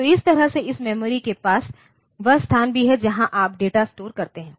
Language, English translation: Hindi, So, that way it has to have this memory also walks as the place where you store the data